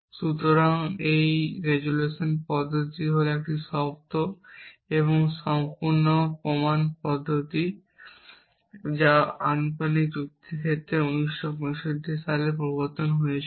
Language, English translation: Bengali, So, that is so the resolution method is a sound and complete proof procedure for the case of proportional logic is it to introduced in 1965